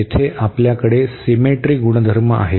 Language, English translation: Marathi, So, we have the symmetry property here